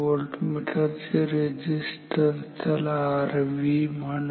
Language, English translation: Marathi, The resistance of a voltmeter call it R V